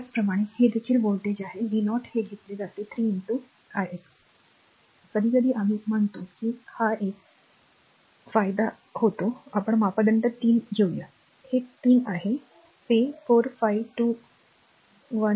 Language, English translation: Marathi, Similarly, this is also this voltage v 0 it is taken 3 into i x, sometimes we call this is a gain parameter 3, it is 3 it may be 4 5 2 1